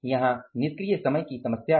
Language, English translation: Hindi, Here is the problem of the idle time